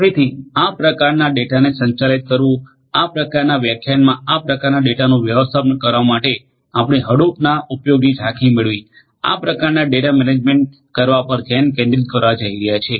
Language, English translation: Gujarati, So, managing this kind of data, managing this kind of data and managing this kind of data in this particular lecture we are going to focus on to get an overview of use of Hadoop to manage this kind of data right